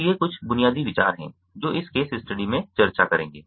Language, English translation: Hindi, so these are a few basic ideas will be discussing in this case study